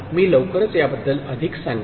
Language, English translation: Marathi, I shall tell more about it shortly